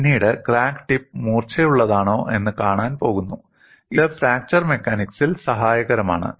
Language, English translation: Malayalam, Later on, we are going to see if crack tip blunts, it is helpful in fracture mechanics